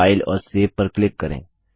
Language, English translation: Hindi, Click on File and Save